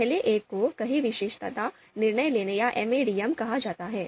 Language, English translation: Hindi, First one is called multiple attribute decision making or MADM